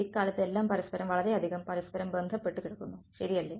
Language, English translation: Malayalam, Everything has become so interdisciplinary these days right